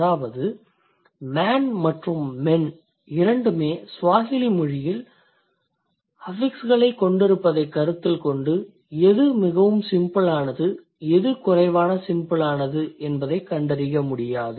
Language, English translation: Tamil, So, that means considering a man and men both have affixations in Swahili, it is not possible for us to find out which one is more simple, which one is less simple